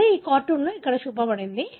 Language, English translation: Telugu, That is what shown here in this cartoon as well